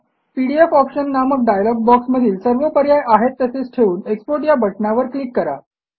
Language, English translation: Marathi, In the PDF options dialog box, leave all the options as they are and click on the Export button